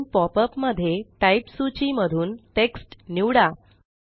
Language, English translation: Marathi, In the new popup, let us select Text in the Type list